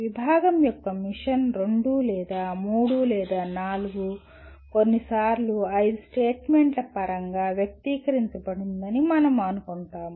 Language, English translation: Telugu, We assume that mission of the department is expressed in terms of a two or three or four sometimes five statements